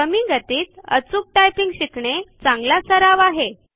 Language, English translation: Marathi, It is a good practice to first learn to type accurately at lower speeds